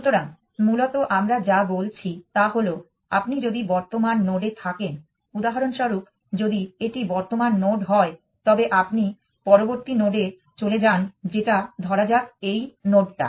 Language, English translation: Bengali, So, essentially what we are saying is at if you are at current node, so for example, if this is the current node then you move to the next node which is this let us say this one